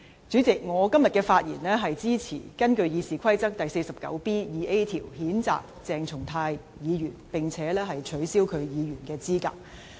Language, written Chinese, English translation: Cantonese, 主席，我今天發言支持根據《議事規則》第 49B 條譴責鄭松泰議員，並且取消其議員的資格。, President I rise to speak in support of the censure on Dr CHENG Chung - tai and the disqualification of him from the office as a Member of the Legislative Council in accordance with Rule 49B1A of the Rules of Procedure